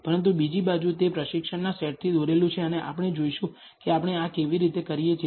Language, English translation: Gujarati, But on the other hand, it is drawn from the training set and we will see how we do this